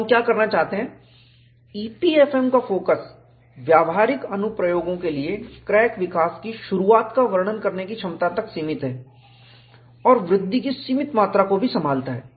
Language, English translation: Hindi, So, what we want to do is, the focus of EPFM for practical applications is limited to the ability to describe the initiation of crack growth and also handle a limited amount of actual crack growth